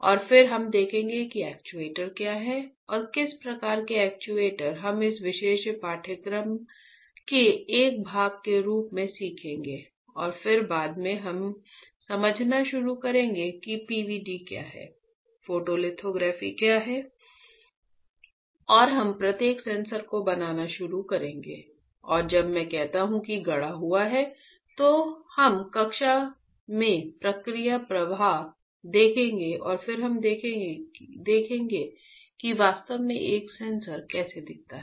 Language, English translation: Hindi, And, then we will see what are the actuators and what kind of actuators we will be learning as a part of this particular course and then later on we will start understanding what is PVD, what is the photolithography and we will start fabricating each sensor and when I say fabricated, we will see the process flow in the in the class and then we will see how exactly a sensor looks like